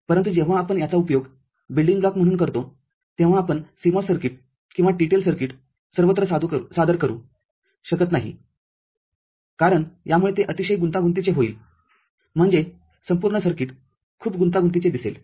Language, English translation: Marathi, But, when we use these as a building block we shall not present either CMOS circuit or TTL circuit everywhere, because that will make it very, very complex, I mean, the whole circuit will look very complex